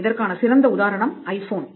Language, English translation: Tamil, The best example is the iPhone